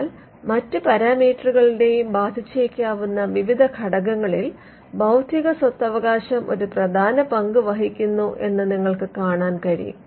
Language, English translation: Malayalam, Because when you see that intellectual property rights play a cumulative role in changing various things which can affect other parameters as well